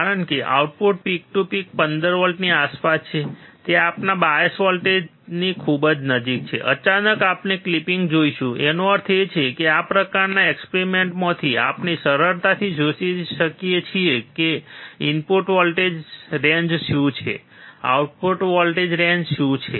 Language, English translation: Gujarati, Because the output peak to peak is around 15 volts, it is very close to our bias voltage, suddenly, we will see the clipping; that means, that from this kind of experiments, we can easily find what is the input voltage range, what is the output voltage range